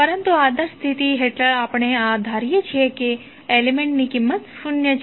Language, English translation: Gujarati, But under ideal condition we assume that the value of that element is zero